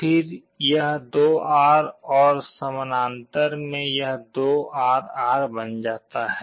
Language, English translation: Hindi, Again this 2R and this 2R in parallel becomes R